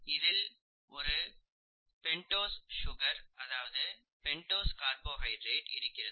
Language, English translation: Tamil, You have what is called a pentose sugar here, a pentose carbohydrate here